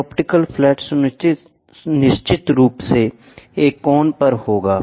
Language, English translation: Hindi, This optical flat of course, will be at an angle